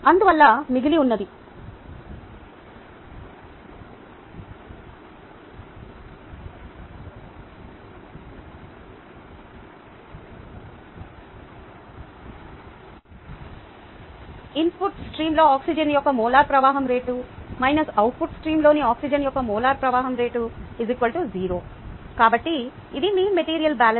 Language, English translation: Telugu, and therefore what remains is molar flow rate of oxygen in the input stream minus the molar flow rate of oxygen in the output stream equals zero